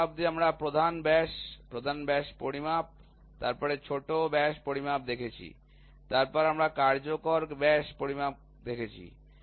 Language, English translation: Bengali, So, till now what we saw major diameter, major diameter measurement, then minor diameter measurement, then we saw effective diameter measurement, effective diameter measurement